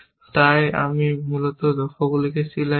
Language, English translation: Bengali, So, I serialize the goals, essentially